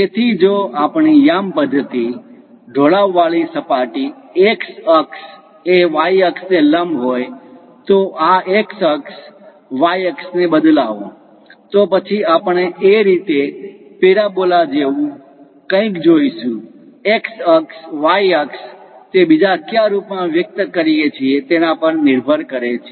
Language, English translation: Gujarati, So, if our coordinate system is on the inclined plane like x axis normal to that y axis, flip this x axis, y axis; then we will see something like a parabola in that way, x axis, y axis, it depends on where exactly we are translating